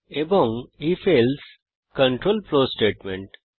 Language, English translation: Bengali, And if...else control flow statements